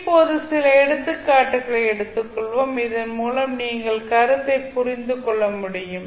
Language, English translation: Tamil, Now, let us take few of the examples so that you can understand the concept